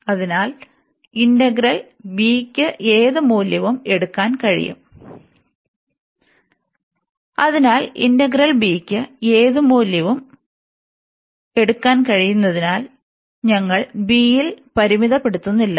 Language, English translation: Malayalam, So, integrals means that this b can take any value, so we are not restricting on b